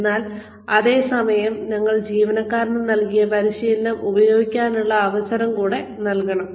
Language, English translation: Malayalam, But, at the same time, we have to give the employee, a chance to use the training, that we have given the employee